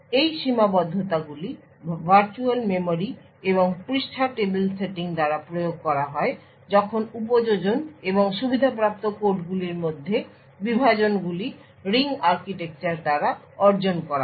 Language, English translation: Bengali, These restrictions are enforced by the virtual memory and page tables setting while the partitions between the applications and privileged codes are achieved by the ring architecture